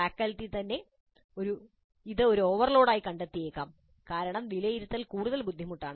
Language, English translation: Malayalam, And faculty itself may find this as an overload because the assessment is considerably more difficult